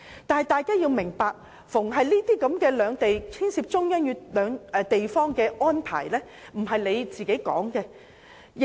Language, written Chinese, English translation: Cantonese, 但大家要明白，凡涉及兩地即中央與地方之間的安排，並非我們可以作主。, But we should understand that for any arrangement involving both sides ie . the Central Government and its local administrative region it is not up to us to decide